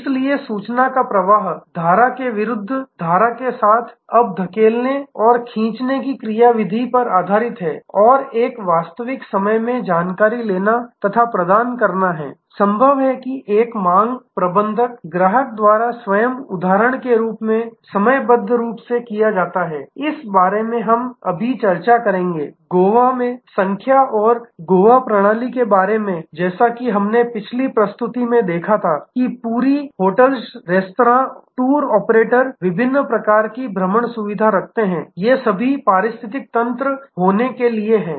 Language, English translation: Hindi, So, flow of information, upstream, downstream is now more based on push pull mechanism and there is a real time tracking and dispatching is now, possible a demand management is proactively done by the customer themselves schedule in just as the example, that we will discuss in this now, about number in Goa and the Goa system as we saw in a previous presentation is that whole hotels restaurants tour operators different types of excursion facility these are all for being one ecosystem